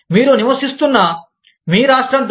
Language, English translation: Telugu, With the law of the state, that you live in